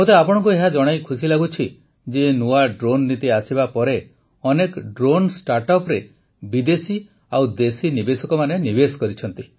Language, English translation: Odia, I am happy to inform you that after the introduction of the new drone policy, foreign and domestic investors have invested in many drone startups